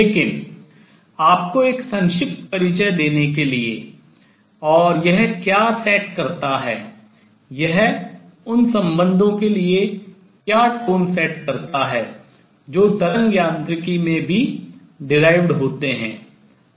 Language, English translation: Hindi, But to give you a brief introduction and what it sets the tone for the relations that are derived in wave mechanics also